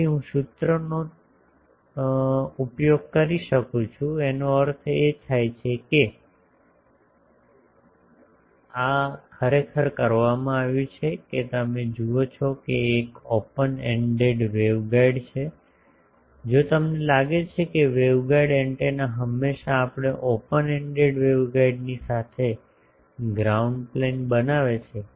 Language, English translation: Gujarati, So, I can use the formulas so; that means, this is done actually you see that an open ended waveguide, if we think that the waveguide the antenna always we make a ground plane along the open ended waveguide